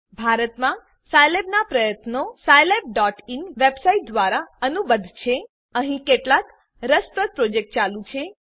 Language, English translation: Gujarati, Scilab Effort in India is co ordinated through the website scilab.in There are some interesting projects going on